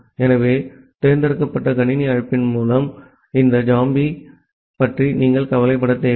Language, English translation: Tamil, So, with the select system call you do not need to worry about this zombie